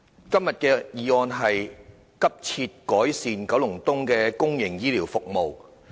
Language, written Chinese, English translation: Cantonese, 今天的議案是"急切改善九龍東公營醫療服務"。, The motion today is Urgently improving public healthcare services in Kowloon East . President life is priceless